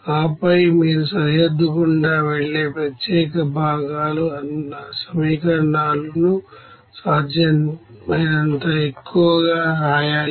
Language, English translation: Telugu, And then you have to write as many as possible the equations where there are unique components passing through the boundary